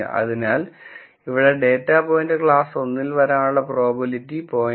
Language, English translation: Malayalam, So, here the probability that the data point belongs to class 1 let us say it is 0